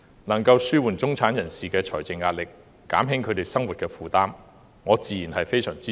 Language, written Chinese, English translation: Cantonese, 能夠紓緩中產人士的財政壓力，減輕他們的生活負擔，我自然非常支持。, The proposal which can alleviate the financial pressure of the middle class and ease their burden of living certainly has my strong support